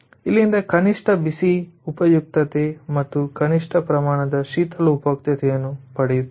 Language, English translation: Kannada, we will use both the hot utility and the cold cold utility in the minimum quantity